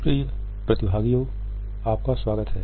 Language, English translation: Hindi, Welcome dear participants